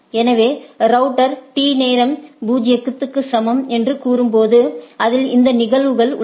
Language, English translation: Tamil, So, this when the router say time t equal to 0, it has these are the instances